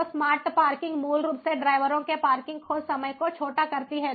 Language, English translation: Hindi, so smart parking basically shortens the parking search, ah parking search time of the drivers